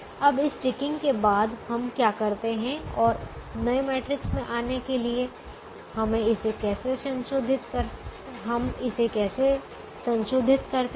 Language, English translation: Hindi, now what do we do after this ticking and how do we modify this to get into a new matrix